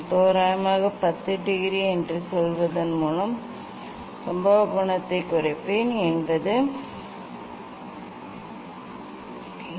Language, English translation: Tamil, I think I will take I will decrease the incident angle by say 10 degree approximately